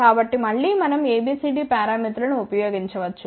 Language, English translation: Telugu, So, again we can use ABCD parameters